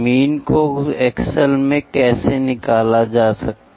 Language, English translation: Hindi, How to find the mean in Excel